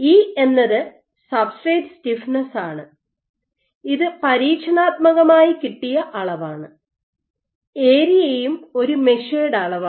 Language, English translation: Malayalam, So, E is the substrate stiffness which is an experimentally measured quantity, area is also a measured quantity